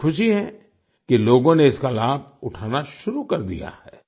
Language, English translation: Hindi, I am glad that people have started taking advantage of it